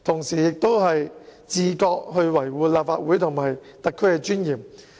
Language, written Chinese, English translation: Cantonese, 他也應自覺地維護立法會和特區的尊嚴。, He should also take the initiative to uphold the dignity of the Legislative Council and HKSAR